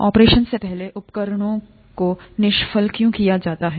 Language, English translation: Hindi, Why are instruments sterilized before an operation